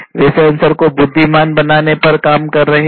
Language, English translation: Hindi, They are working on making sensors intelligent